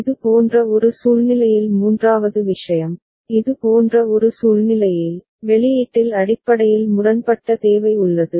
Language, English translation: Tamil, And the third thing in a situation like this, in a situation like this where there is a basically conflicting requirement in the output